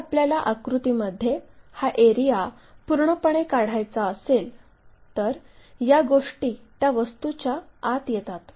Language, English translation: Marathi, If, we want to really represent this area one completely in the picture, then these things really comes in the inside of that object